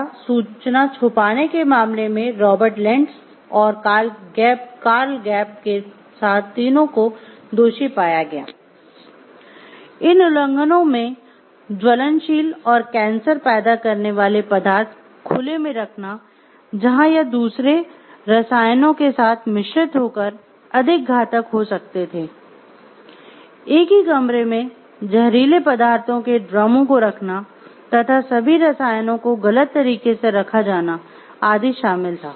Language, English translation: Hindi, Among the violations observed where flammable and cancer causing substances left in open, chemicals that become lethal if mixed were kept in the same room, drums of toxic substances were leaking there were chemicals everywhere misplaced unlabeled or poorly contained